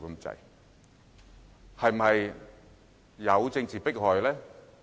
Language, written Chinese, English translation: Cantonese, 至於有否政治迫害？, Are there any political persecutions?